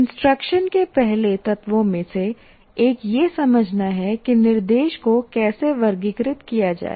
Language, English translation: Hindi, Now one of the first elements of the instruction is to understand how to classify instruction